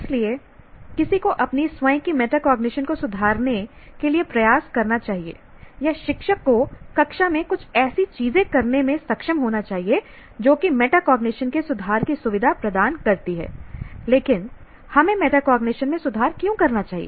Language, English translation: Hindi, So, one should put effort to improve one's own metacognition or the teacher should be able to do certain things in the classroom that facilitates improvement of metacognition